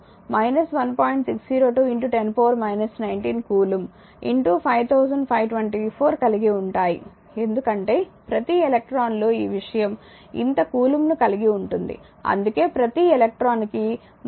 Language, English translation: Telugu, 602 into 10 to the power minus 19 coulomb per electron into 5524 because each electron has this thing this much of coulomb that is why you writing; you are writing minus 1